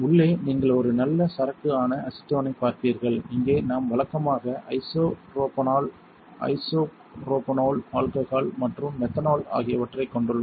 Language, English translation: Tamil, Inside you will see a nice inventory you have acetone right, here we usually have isopropanol which isopropanol alcohol and methanol